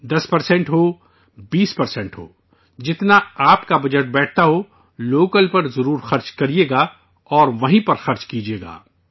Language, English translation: Urdu, Be it ten percent, twenty percent, as much as your budget allows, you should spend it on local and spend it only there